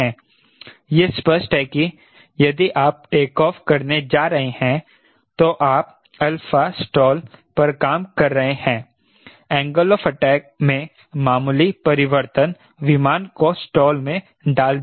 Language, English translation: Hindi, it is obvious that if you are going to take off here, operating at the alpha stall, the slight change in the angle of attack, we will put the diagram v stall